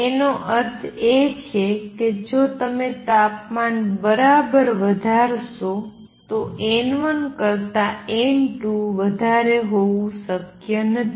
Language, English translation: Gujarati, So, thermally it is not possible to have n 2 greater than n 1